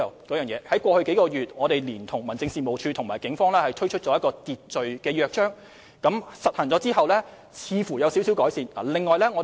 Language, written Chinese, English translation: Cantonese, 過去數個月，我們聯同民政事務處和警方推行維持秩序的約章，約章實行之後，情況似乎有些改善。, Over the past several months we have joined hands with the District Offices and the Police to introduce the charter for maintaining order and it seems that the situation has improved following the implementation of the charter